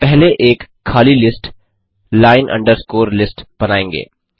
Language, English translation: Hindi, We first initialize an empty list, line underscore list